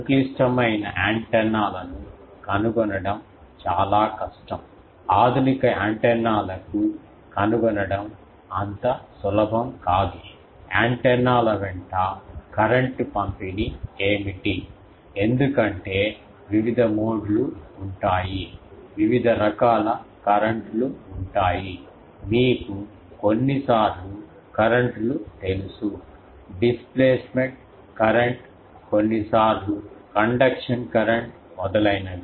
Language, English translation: Telugu, It is very difficult to find for complicated antennas, modern antennas it is not easy to find the, what is the current distribution along the antennas because there will be various modes, there will be various types of currents, you know the currents sometimes where the displacement current, sometimes there conduction current etc